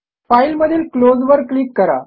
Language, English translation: Marathi, Click on File and Open